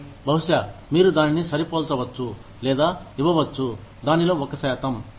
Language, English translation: Telugu, And then, maybe, you can match it, or give them, a percentage of it